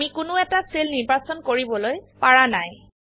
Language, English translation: Assamese, We are not able to select any cell